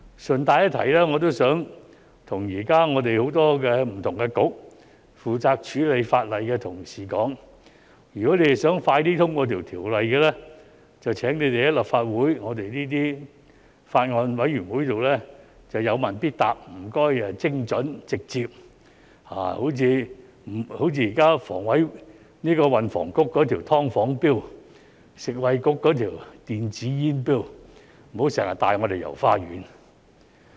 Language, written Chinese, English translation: Cantonese, 順帶一提，我想告訴現時很多不同的政策局負責處理法例的同事，如果他們想盡快通過條例，便請他們於立法會法案委員會上有問必答，請精準和直接，例如現時運輸及房屋局的"劏房 "Bill、食物及衞生局的電子煙 Bill， 不要經常帶我們"遊花園"。, By the way I would like to advise colleagues responsible for legislative matters in various Policy Bureaux that if they want the bills to be passed as soon as possible they had better answer every single question precisely and directly at the bills committees of the Legislative Council . For example the bill on subdivided units put forward by the Transport and Housing Bureau and the bill on e - cigarettes submitted by the Food and Health Bureau . Please do not dance around the issues